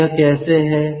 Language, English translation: Hindi, so that is given